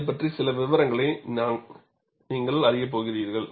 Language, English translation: Tamil, We are going to learn certain details about it